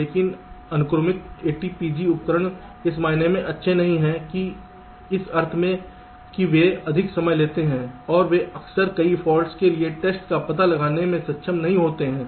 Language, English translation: Hindi, but sequential a t p g tools are, in comparison, not that good in terms in the sense that they take much more time and they are often not able to detect the test for many of the faults